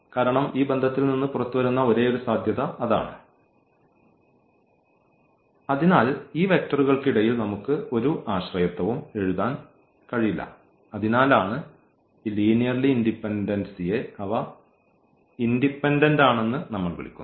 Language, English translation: Malayalam, Because we can there is no dependency on the vectors on each other because that is the only possibility coming out of this relation, so we cannot write any dependency among these vectors and that is the reason we call this linear independence that they are independent